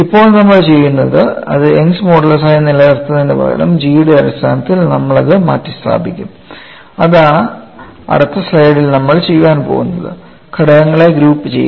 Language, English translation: Malayalam, Now, what we will do is, instead of keeping this as Young's modulus, we will replace it terms of g that is what we are going to do it the next slide and group the terms